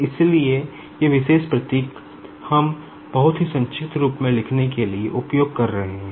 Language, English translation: Hindi, So, these particular symbols, we are using just to write down in a very compact form